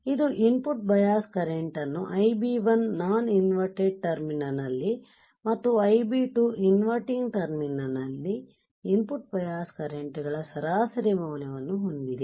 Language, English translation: Kannada, It has an input bias current as an average value of input bias currents Ib1 at non inverted terminal and Ib2 at inverting terminal